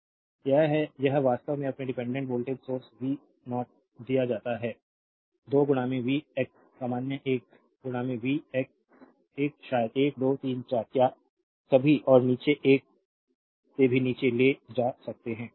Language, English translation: Hindi, This is this is actually your dependent voltage source v 0 is given 2 into v x is general you can take a into v x right a maybe 1 2 3 4 what is ever and below less than 1 also